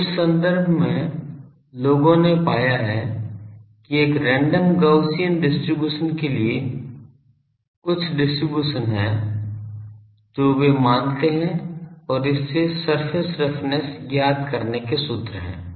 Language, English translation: Hindi, So, in terms of that people have found that is some distribution for a random Gaussian distribution they assume and from that there are formulas for finding the surface roughness